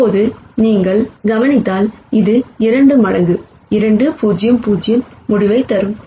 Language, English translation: Tamil, Now if you notice this will also give you the result 2 times 2 0 0